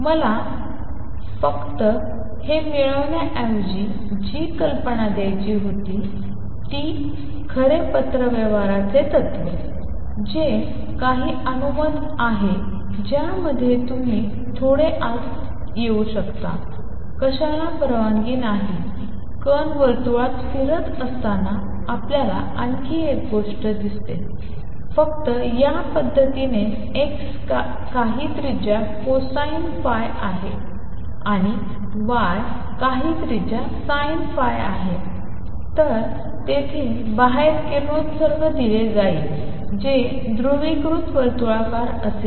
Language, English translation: Marathi, But the idea I wanted to do give rather than just deriving these is that true correspondence principle, you can get some inside into what is allowed; what is not allowed; not only that you see one more thing when a particle is moving in a circle, in this manner that x is some radius cosine phi and y is some radius sin phi, then the radiation will be given out there will be given out will be circular polarized